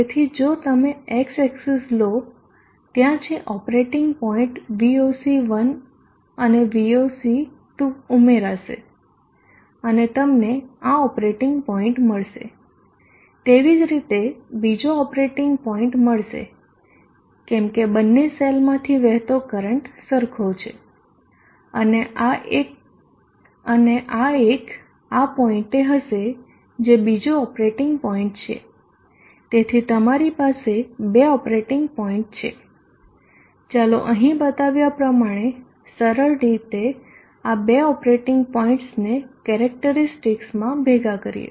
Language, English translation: Gujarati, That is PV cell 1 voltage plus PV cell 2 voltage so if you take the x axis there is an operating point we will see 1 and we will see to add it up and you will get this operating point likewise another operating point is as the current flowing through both the cells is the same this would be the one at the outer point is another operating point, so you have two operating points in a simple simplistic manner let us just combine these two operating points into the characteristic as shown here